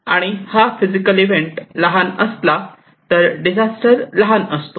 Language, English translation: Marathi, If this physical event is small, disaster is also small